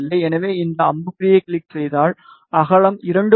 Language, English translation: Tamil, So, just click on this arrow and you will see that the width is 2